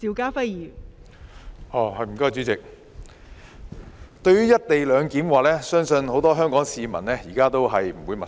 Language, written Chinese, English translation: Cantonese, 代理主席，對於"一地兩檢"，相信很多香港市民現在都不陌生。, Deputy President I believe that co - location is not a strange term to the majority of Hong Kong people now